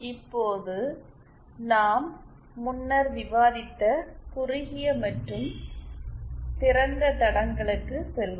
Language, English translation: Tamil, Now let us go back to the shorted and open lines that we have discussed earlier